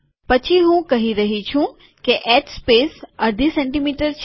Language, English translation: Gujarati, Then i am saying that h space is half a cm